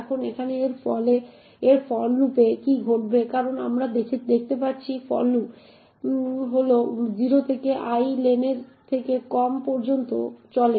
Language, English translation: Bengali, Now what would happen over here in this for loop as we see that the for loop runs from I equals to 0 to i less then len